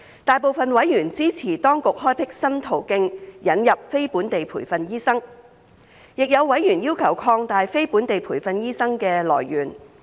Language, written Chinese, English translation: Cantonese, 大部分委員支持當局開闢新途徑引入非本地培訓醫生。亦有委員要求擴大非本地培訓醫生的來源。, Most of the members have shown support to the creation of the new pathway to admit NLTDs but some of them have requested to widen the pool of NLTDs